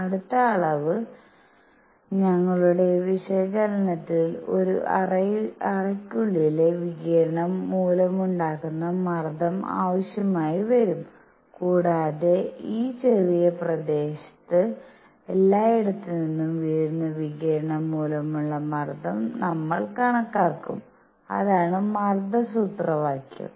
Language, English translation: Malayalam, The next quantity, we will need in our analysis is going to be pressure due to radiation inside a cavity and we will do a calculation of pressure due to radiation falling on this small area here from all over the place and that would be the pressure formula